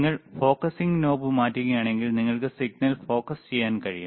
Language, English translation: Malayalam, If you change the know focusing knob, you can focus the signal